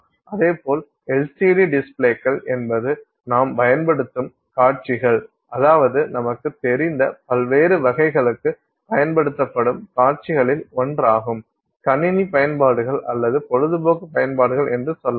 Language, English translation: Tamil, And similarly LCD displays are displays that we use, I mean are one of the types of displays that we use for various, you know, say computer applications or you know even entertainment applications and so on